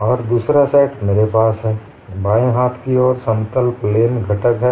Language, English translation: Hindi, And the other set is I have on the left hand side normal strain component